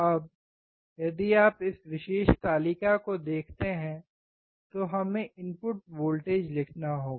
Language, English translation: Hindi, Now, if you see this particular table we have to write input voltage